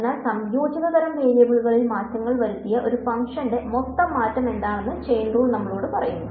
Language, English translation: Malayalam, So, chain rule tells us how what is the total change in a function given changes in the composite sort of variables